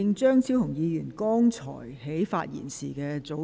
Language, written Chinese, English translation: Cantonese, 張議員，你的發言時限到了。, Dr CHEUNG your speaking time is up